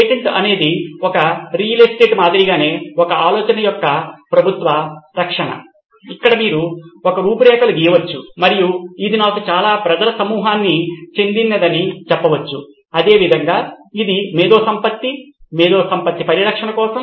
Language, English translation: Telugu, Patent is a government protection of an idea similar to a real estate where you can draw an outline and say this belongs to me or a group of people, same way this is for the intellectual property, intellectual estate